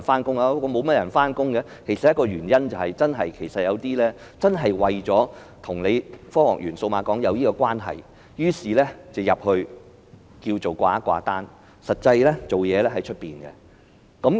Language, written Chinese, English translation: Cantonese, 造成這個現象的其中一個原因是，有些公司為了與科學園或數碼港扯上關係，於是便在那裏"掛單"，實際上則在外面運作。, Are the staff members of start - ups working there? . It seems nobody is working there . One of the reasons leading to this phenomenon is that some companies would seek some form of attachment in order to establish a relationship with the Science Park or the Cyberport but they operate their business elsewhere in fact